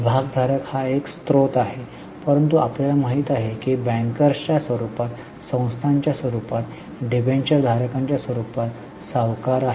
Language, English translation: Marathi, Shareholder is one source but you know there are lenders in the form of bankers, in the form of institutions, in the form of debentureholders, they are also stakeholders